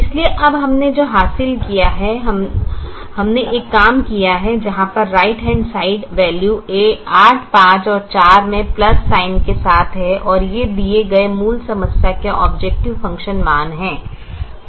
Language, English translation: Hindi, so now what we have achieved is we have done one thing: where the right hand side values here are eight, five and four with the plus sign, and this are exactly the objective function values of the given original problem